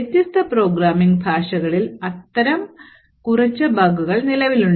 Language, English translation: Malayalam, There are quite a few such bugs present in different programming languages